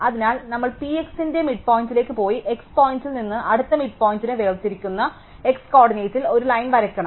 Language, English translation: Malayalam, So, we need to go to the midpoint of P x and draw a line at the x coordinate separating the midpoint from the next point